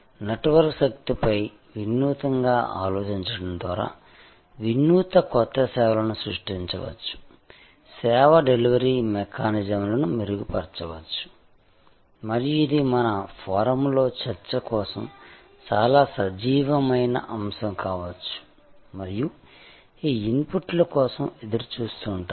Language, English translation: Telugu, And see, what a service delivery mechanisms can be improved innovative new services created by thinking innovatively on the power of network and can be very lively topic for discussion on our forum and look forward to your inputs